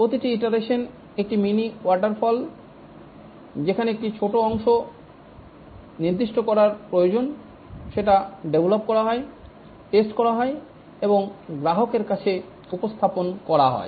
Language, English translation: Bengali, In each iteration is a mini waterfall where need to specify a small part, develop, validate and deploy at the customer site